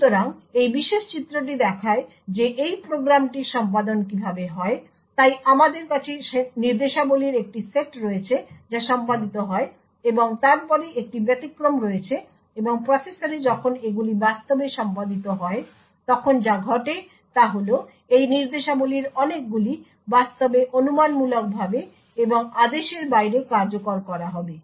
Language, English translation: Bengali, So this particular figure shows how this program executes so we have a set of instructions that gets executed and then there is an exception and what happens when these actually gets executed in the processor is that many of these instructions will actually be executed speculatively and out of order